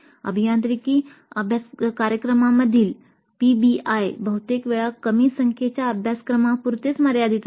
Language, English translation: Marathi, PBI in engineering programs is often limited to a small number of courses